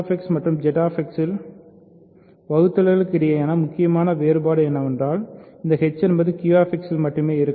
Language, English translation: Tamil, So, the crucial difference between dividing in Q X and Z X is that this h may live only in Q X